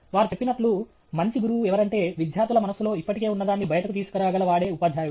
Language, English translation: Telugu, As they say, a good teacher is somebody, a teacher is one who figures out what is already there in the students mind and allows that to come out